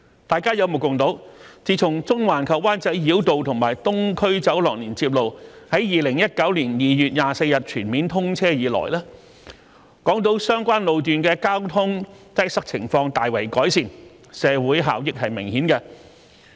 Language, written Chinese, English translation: Cantonese, 大家有目共睹，自從中環及灣仔繞道和東區走廊連接路於2019年2月24日全面通車以來，港島相關路段的交通擠塞情況大為改善，社會效益明顯。, As we can all see since the full commissioning of the Central - Wan Chai Bypass and Island Eastern Corridor Link on 24 February 2019 traffic congestion on the relevant road sections of Hong Kong Island has been considerably alleviated . The social benefits are obvious